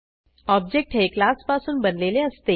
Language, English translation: Marathi, Which means an object is created from a class